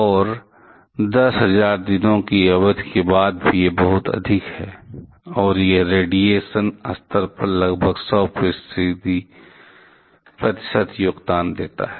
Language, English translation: Hindi, And even after a period of 10000 days, it is extremely high, and it contributes about 100 percent of the radiation level